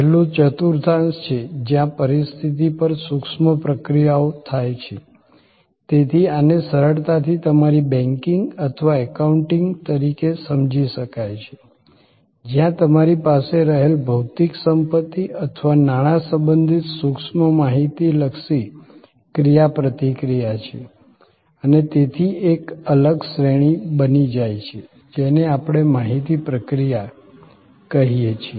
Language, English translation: Gujarati, A last quadrant is the one where intangible actions on positions, so this can be easily understood as your banking or accounting, where there is an intangible information oriented interaction related to material possessions or money that you have and therefore, that becomes a separate category, which we call information processing